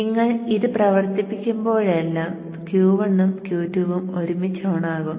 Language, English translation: Malayalam, Now whenever you operate both Q1 and Q2 are turned on together